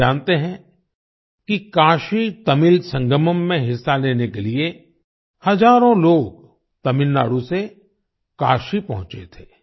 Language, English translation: Hindi, You know that thousands of people had reached Kashi from Tamil Nadu to participate in the KashiTamil Sangamam